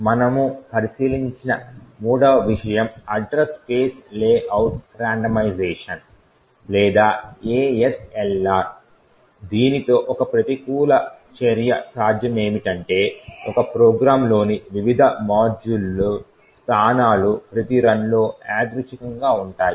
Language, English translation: Telugu, The third thing that we also looked at was address space layout randomization or ASLR with this a countermeasure, what was possible was that the locations of the various modules within a particular program is randomized at each run